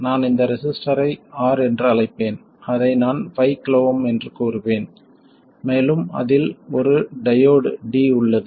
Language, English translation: Tamil, I'll call this resistor R which I'll say is 5 kilhoms and there is a diode D with a voltage VD across it